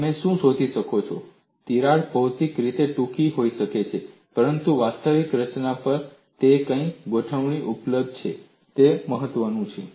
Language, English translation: Gujarati, What you find is, a crack can be shorter physically, but what configuration it is available on the actual structure also matters